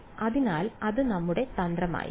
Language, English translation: Malayalam, So, that is going to be our strategy